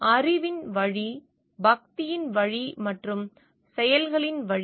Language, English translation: Tamil, The way of knowledge, the way of devotion and the way of works